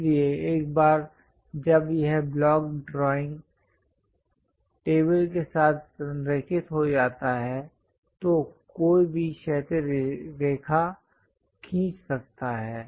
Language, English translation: Hindi, So, once this block is aligned with the drawing table, then one can draw a horizontal line